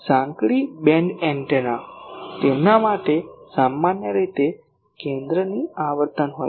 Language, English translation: Gujarati, Narrow band antennas: for them generally there is a centre frequency